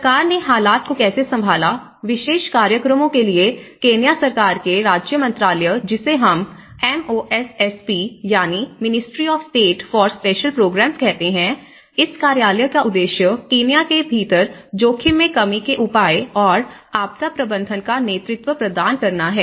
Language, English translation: Hindi, So, how the government have tackled with the situation, the Government of Kenyaís ministry of state for special programs, which we call it as MoSSP, the Ministry of State for Special Programs and this particular ministryís mission is to provide the leadership in the development of risk reduction measures and disaster management, within Kenya